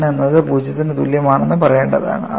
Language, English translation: Malayalam, Suppose, you take the case for n equal to 0, what happens